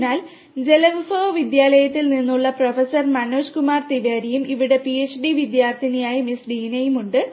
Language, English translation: Malayalam, So, we have with us Professor Manoj Kumar Tiwari, from the school of water resources and also Miss Deena, who is the PhD student over here